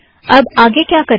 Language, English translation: Hindi, So what next